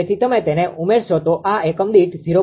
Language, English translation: Gujarati, So, if you add it will become 0